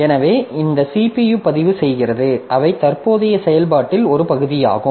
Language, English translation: Tamil, So, this CPU registers, so they are also a part of the current activity